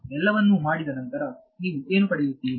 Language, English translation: Kannada, So, after having done all of that what you get